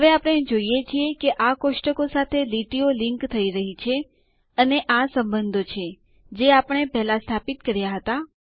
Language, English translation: Gujarati, Now we see lines linking these tables and these are the relationships that we had established earlier